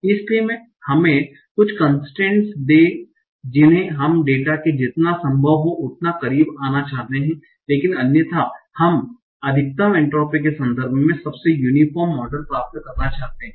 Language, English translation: Hindi, We want to come as close as possible to the data, but otherwise we want to obtain the most different model in terms of maximum entropy